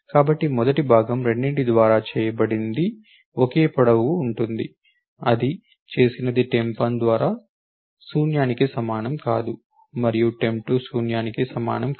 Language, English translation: Telugu, So, the first part what is done is by both of them are the same length till that is what is done is by temp 1 not equal to null and temp 2 not equal to null